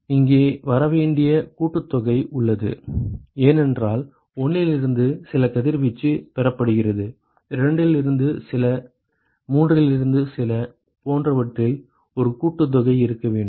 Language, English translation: Tamil, That is right there is the summation that has to come here, because there is some radiation received from 1, some from 2, some from 3 etcetera there has to be a summation